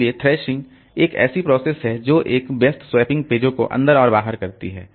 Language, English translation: Hindi, So thrashing is a process, it's a busy swapping pages in and out